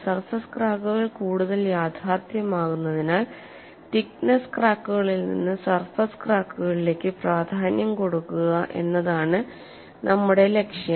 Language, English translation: Malayalam, Our focus is to graduate through the thickness cracks to surface cracks as surface cracks are more realistic